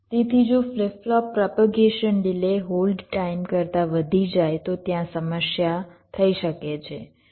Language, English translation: Gujarati, so if a flip flop propagation delay exceeds the hold time, there can be a problem